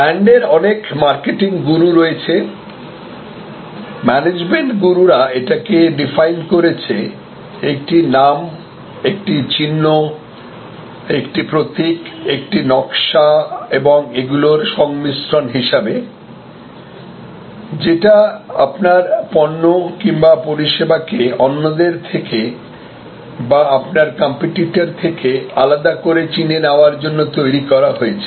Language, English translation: Bengali, Brand has many marketing gurus, management gurus have defined is a name, it is a sign, it is a symbol, it is a design and a combination of these, intended to identify the goods or services distinctively with respect to others with respect to competitors